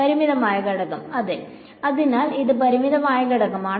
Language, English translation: Malayalam, Finite element; so this is finite element ok